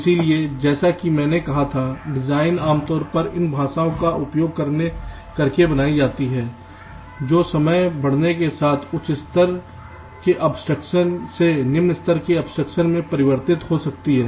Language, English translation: Hindi, so, as i had said, designs are created, typically h, d, using this languages, which can be transformed from some higher level of abstraction to a lower level of abstraction as time progresses